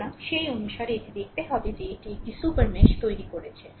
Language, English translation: Bengali, So, so accordingly you have to you have to see that this creating a super mesh right